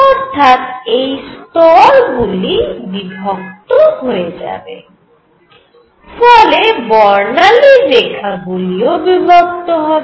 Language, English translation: Bengali, So, these levels are going to split and therefore, the lines in the spectrum are also going to split